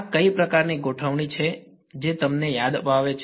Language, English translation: Gujarati, What kind of a configuration is this what does it remind you off